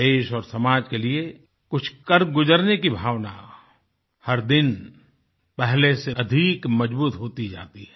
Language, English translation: Hindi, The sentiment of contributing positively to the country & society is gaining strength, day by day